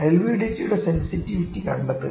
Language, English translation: Malayalam, Find the sensitivity of the LVDT